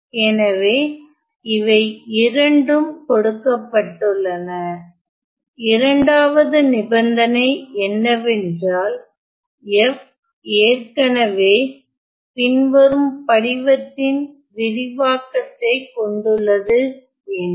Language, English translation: Tamil, So, these two are given and the second condition is that f has already has an expansion of the following form